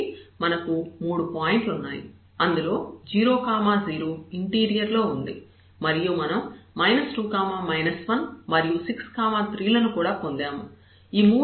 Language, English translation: Telugu, So, we have 3 points 1 was in the interior that is a 0 0 point and 2 points we got here minus 2 minus 1 and 6 comma 3